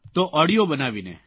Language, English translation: Gujarati, So make an audio and…